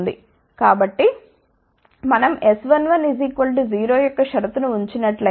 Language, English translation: Telugu, So, if we put a condition of S 1 1 equal to 0